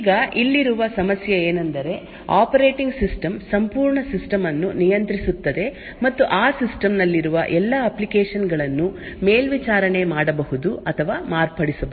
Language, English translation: Kannada, Now the problem over here is that since the operating system controls the entire system and can monitor or modify all applications present in that system